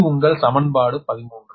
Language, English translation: Tamil, this is equation thirteen right